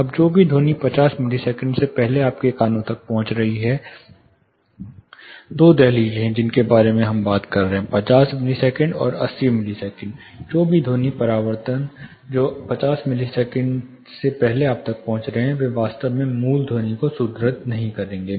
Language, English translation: Hindi, Now, whatever sound which is reaching your ears before 50 milliseconds, there are two threshold we are talking about; 50 milliseconds and 80 milliseconds whatever sound reflections which are reaching you, before 50 milliseconds, would actually reinforce no original sounds